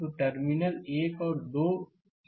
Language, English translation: Hindi, So, this is terminal 1 and 2